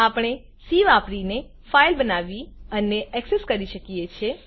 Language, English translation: Gujarati, We can create a file and access it using C